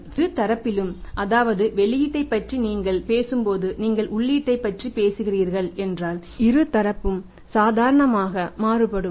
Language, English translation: Tamil, And both the sides whether you talk about the output you talk about the input both are variable in nature